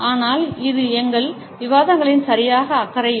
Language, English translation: Tamil, But this is not exactly concerned with our discussions